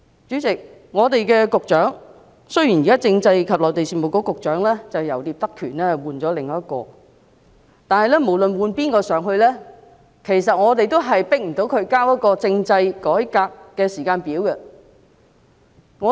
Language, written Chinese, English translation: Cantonese, 主席，雖然現時政制及內地事務局局長由聶德權換上另一人，但無論換上誰，我們都無法強迫他交出政制改革的時間表。, Chairman although another person has now taken over Patrick NIP as the Secretary for Constitutional and Mainland Affairs regardless of who the incumbent Secretary is we are still unable to force him to submit a timetable on constitutional reform